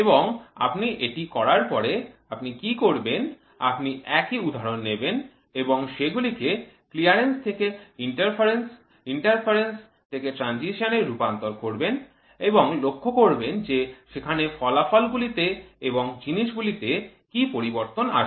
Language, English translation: Bengali, So, what you will do you will try to take the same example and shift the fit from clearance to interference, interference to transition and figure out what will be the response to the product in terms of output